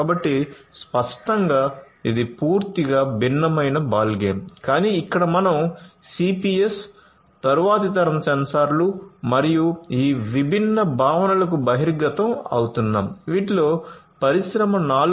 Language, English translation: Telugu, So, obviously, that is a completely different ballgame, but here we are just getting an exposure to these different concepts of cps, next generation sensors, and so on which will be required for building Industry 4